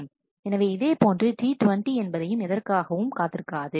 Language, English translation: Tamil, So, eventually and T 20 is waiting for none